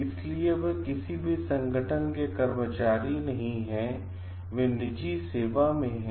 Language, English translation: Hindi, So, they are not employees of any organization, they are in private practice